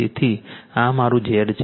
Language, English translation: Gujarati, And this is my Z 2